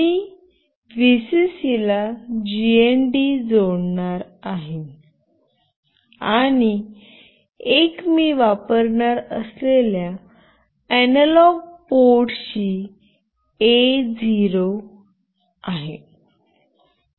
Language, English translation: Marathi, One I will be connecting to Vcc, one to GND, and one to the analog port that I will be using is A0